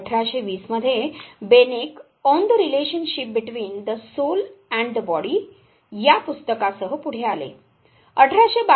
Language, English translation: Marathi, 1820 when Beneke came forward with a book 'On the relationship between the soul in the body'